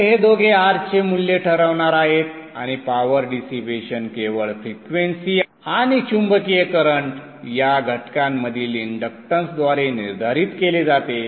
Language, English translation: Marathi, So these two are going to decide the value of R and the power dissipation is determined only by frequency and the inductance and magnetizing current components